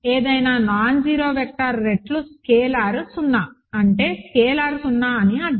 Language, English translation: Telugu, Any nonzero vector times a scalar is 0 means that scalar is 0